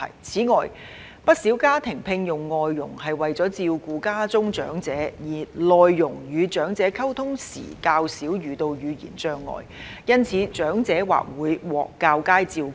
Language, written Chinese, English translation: Cantonese, 此外，不少家庭聘用外傭是為了照顧家中長者，而內傭與長者溝通時較少遇到語言障礙，因此長者或會獲較佳照顧。, In addition as quite a number of families hire FDHs for the purpose of taking care of their elderly members and less language barrier is encountered when MDHs communicate with the elderly the elderly may receive better care